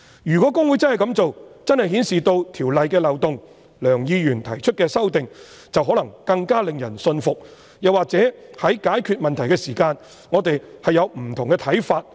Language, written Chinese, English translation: Cantonese, 如果公會真的這樣做，便真的顯示《條例》的漏洞，而梁議員提出的修正案，便可能更令人信服，又或在解決問題時，我們會有不同的看法。, If HKICPA had really done so the loopholes of the Ordinance would be revealed and the amendments proposed by Mr Kenneth LEUNG would be more convincing or we would have different views on solving the problems